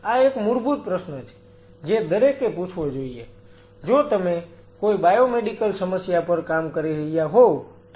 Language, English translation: Gujarati, This is one fundamental question one has to ask, provided if you are working on some biomedical problem ok